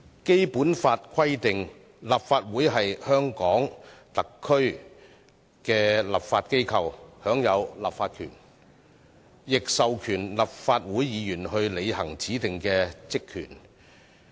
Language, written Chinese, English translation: Cantonese, 《基本法》規定，立法會是香港特區的立法機構，享有立法權，亦授權立法會議員履行指定的職權。, The Basic Law provides that the Legislative Council shall be the legislature of HKSAR and has the power to enact laws . It also empowers Members of the Legislative Council to perform specified powers and functions